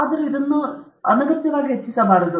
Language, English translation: Kannada, Even so, this can never be overstated